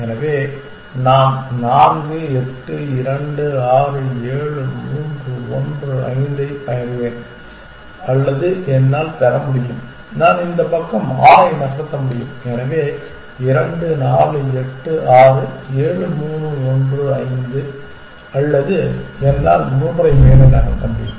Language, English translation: Tamil, So, I will get 4, 8, 2, 6, 7, 3, 1, 5 or I can get, I can move 6 this side, so 2, 4, 8, 6, 7, 3, 1, 5 or I can move 3 up